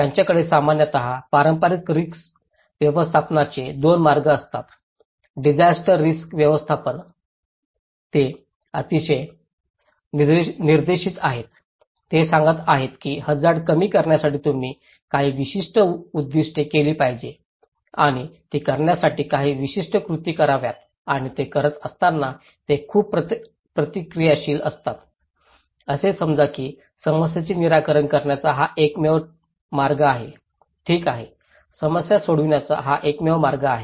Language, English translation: Marathi, They generally have 2 way of conventional risk management; disaster risk management, they are very directive, they are saying that okay in order to reduce the risk, you should do that you have some specific goals and you have some specific actions to perform and while doing it, they are also very reactive, they think that this is the only way to solve the problem, okay, this is the only way to solve the problem